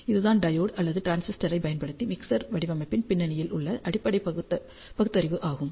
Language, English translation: Tamil, So, this was the basic rational behind ah mixer design using either diode or transistor